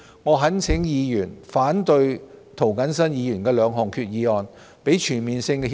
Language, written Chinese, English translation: Cantonese, 我們懇請議員反對涂謹申議員提出的兩項決議案，讓這兩份全面性協定早日落實。, We implore Members to oppose the two resolutions proposed by James TO so that these two CDTAs can be implemented as soon as possible